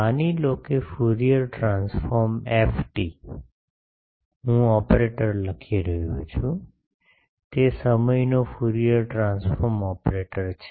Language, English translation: Gujarati, Suppose Fourier transform F t, I am writing is an operator, it is a time Fourier transform operator